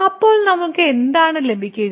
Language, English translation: Malayalam, So, what do we get then